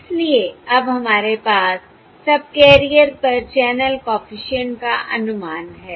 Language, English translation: Hindi, So now we have the estimates of the channel coefficient on the subcarrier